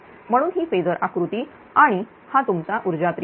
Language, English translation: Marathi, Therefore, this is a phasor diagram and this is your power triangle